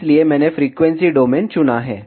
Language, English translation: Hindi, So, I have selected frequency domain